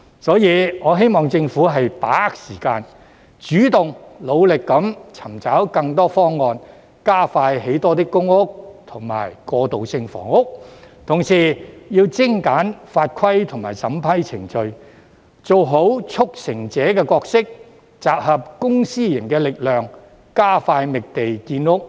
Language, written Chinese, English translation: Cantonese, 因此，我希望政府把握時間，主動努力尋找更多方案，加快興建更多公屋和過渡性房屋，同時要精簡法規及審批程序，做好"促成者"的角色，集合公私營的力量，加快覓地建屋。, Therefore I hope that the Government will seize the time and take the initiative to explore more options to expedite the provision of PRH and transitional housing units and at the same time streamlining the legal and approval procedures thereby demonstrating our role as a facilitator to pool the efforts of the public and private sectors and expedite the identification of land for housing construction